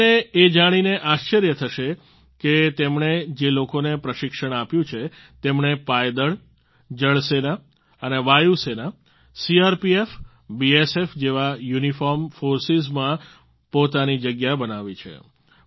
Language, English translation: Gujarati, You will be surprised to know that the people this organization has trained, have secured their places in uniformed forces such as the Army, Navy, Air Force, CRPF and BSF